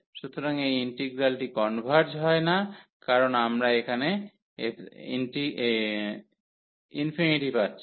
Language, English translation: Bengali, So, this integral does not converge because we are getting the infinity here